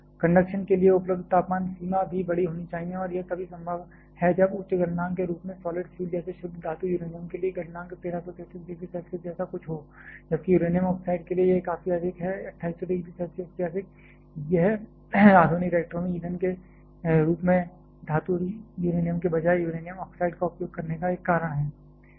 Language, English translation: Hindi, The temperature range available for operation should also be large and that is possible only when the solid fuel as a high melting point like for pure metallic uranium the melting point is something like 1133 degree Celsius whereas, for uranium oxide it is significantly higher it is greater than 2800 degree Celsius; that is one the reason of not using metallic uranium rather uranium oxide as the fuel in modern reactors